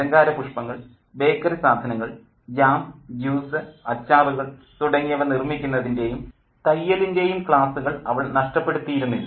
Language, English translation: Malayalam, She had not missed out on classes in flower arrangement, bakery, sewing and in making jam, juice, pickles, she had learned all these skills